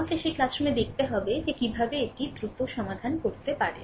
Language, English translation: Bengali, We have to see that classroom how we can quickly we can solve this one